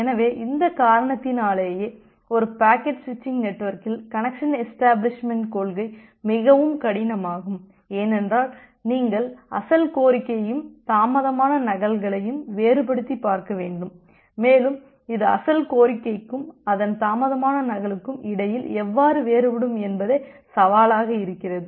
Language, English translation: Tamil, So, because of all this reason, the entire principle of connection establishment in a packet switching network is very difficult, because you need to differentiate between the original request and it is delayed duplicates and the challenge comes that how will you differentiate between the original request and the corresponding delayed duplicate